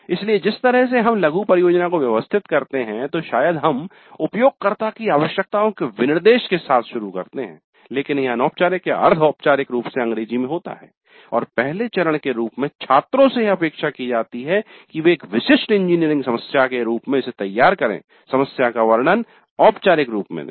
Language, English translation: Hindi, So, the way we organize the mini project, probably we start with the specification of the user requirements but informally or semi formally in English and as a first step the students are expected to formulate that as a specific engineering problem